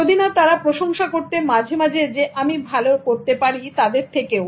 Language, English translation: Bengali, If not, they are also appreciating occasionally that I'm doing better than them